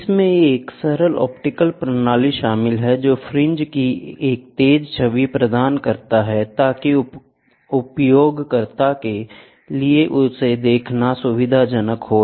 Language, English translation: Hindi, It comprises a simple optical system, which provides a sharp image of the fringes so that it is convenient for the user to view them